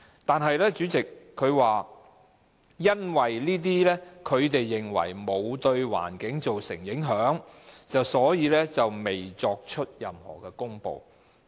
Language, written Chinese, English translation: Cantonese, 但是，主席，局長又說，因為當局認為該類排放沒有對環境造成影響，所以未作出任何公布。, However President the Secretary also said that as the authorities were of the view that such discharges did not have any impact on the environment no public announcement had been made